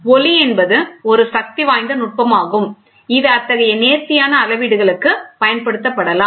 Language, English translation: Tamil, Light is one powerful technique which can be used for such fine measurements